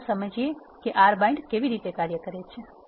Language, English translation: Gujarati, Let us illustrate how an R bind works